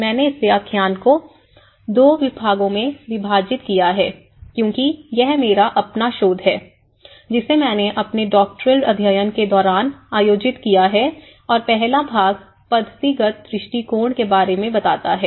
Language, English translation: Hindi, I have divided this lecture in two parts because it is my own research, which I have conducted during my Doctoral studies and the first part which talks about the methodological approach